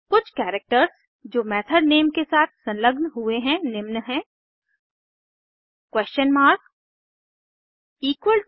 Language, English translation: Hindi, Some of the characters that can be appended to a method name are: